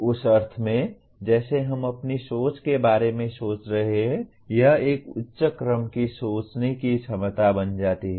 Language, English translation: Hindi, In that sense as we are thinking of our own thinking it becomes a higher order thinking ability